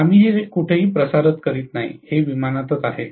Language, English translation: Marathi, We are not transmitting it anywhere, it is within the aircraft itself